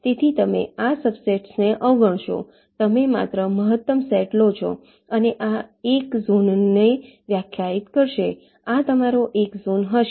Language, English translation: Gujarati, so you ignore this subsets, you only take the maximal set and this will define one zone